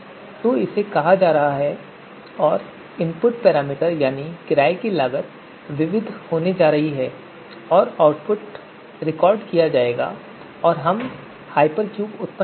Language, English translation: Hindi, So this is going to be called and the input input parameter that we have renting cost so this input parameter is going to be varied and you know output would be recorded and we’ll get the we’ll generate the hypercube